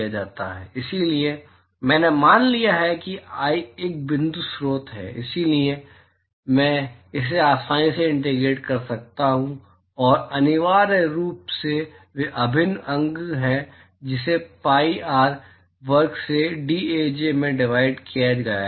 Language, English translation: Hindi, So, I have assumed that i is a point source, so, I can simply integrate it out and this is essentially integral Aj cos theta i cos theta j divided by pi R square into dAj